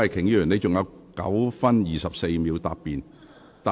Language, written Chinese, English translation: Cantonese, 李慧琼議員，你還有9分24秒答辯。, Ms Starry LEE you still have 9 minutes 24 seconds to reply